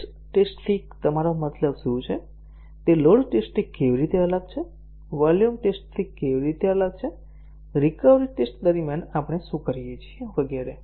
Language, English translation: Gujarati, What do you mean by stress test, how is it different from a load test, how is it different from a volume test, what do we do during a recovery test and so on